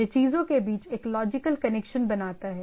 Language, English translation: Hindi, So, it has a it finds a logical connection between the things